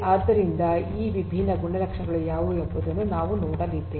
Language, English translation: Kannada, So, what are these different properties is what we are going to look at